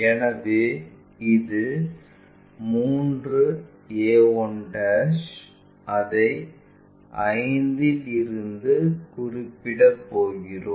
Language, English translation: Tamil, So, 3a 1' this one, we are going to locate it from 5 to somewhere there